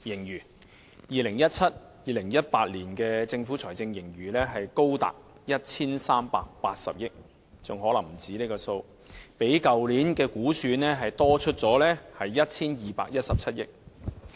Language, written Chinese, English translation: Cantonese, 2017-2018 年度的財政盈餘高達 1,380 億元——可能還不止這個數目——較去年的估算超出逾 1,217 億元。, The fiscal surplus for 2017 - 2018 is as high as 138 billion―probably more―an excess of more than 121.7 billion over last years projection